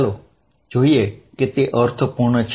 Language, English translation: Gujarati, Let us see it makes sense